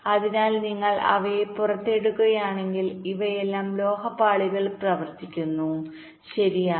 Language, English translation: Malayalam, so if you take them out, these are all running on metal layers